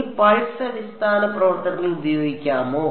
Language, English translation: Malayalam, Can I use the pulse basis functions